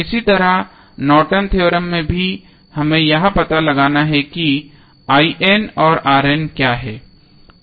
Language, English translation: Hindi, Similarly in Norton's Theorem also what we need to find out is I N and R N